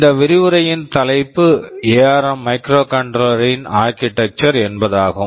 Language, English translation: Tamil, TSo, the topic of this lecture is Architecture of ARM Microcontroller, this is the first part of the lecture